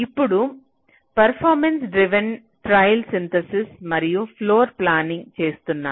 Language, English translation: Telugu, now you are doing performance driven trial synthesis and floorplanning